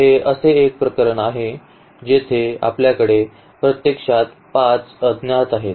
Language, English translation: Marathi, So, this is a case where we have 5 unknowns actually